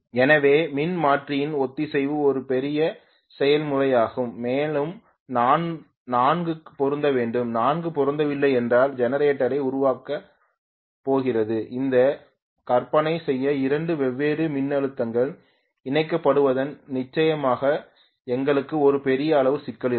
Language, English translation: Tamil, So synchronization of the alternator is a big process and all 4 have to be matched, if all the 4 are not matched you know, we will have definitely you know a huge amount of problem in terms of two different voltages getting connected that to imagine generator is going to generate about 20 kilo volts